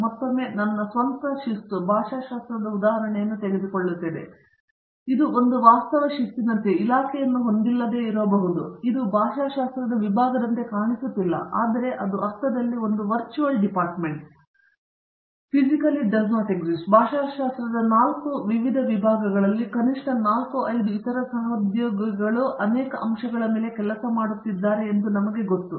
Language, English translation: Kannada, But, it again to go back to the strength part of this take the example of my own discipline linguistics, itÕs like a virtual discipline, it may not have a department of, it may not look like a department of linguistics, but there it is a virtual department in the sense that, I know at least 4 5 other colleagues working in 4 different departments on several aspects of linguistics